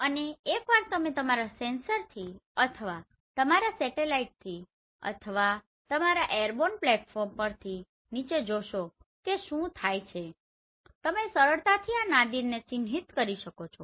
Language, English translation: Gujarati, And once you just see vertically down from your sensor or from your satellite or from your airborne platform what will happen you can easily mark this Nadir